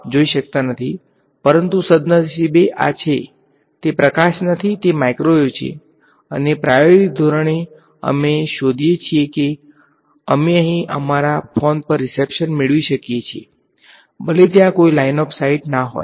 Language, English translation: Gujarati, And empirically we find that we are able to get reception on our phone over here, even though there is no line of sight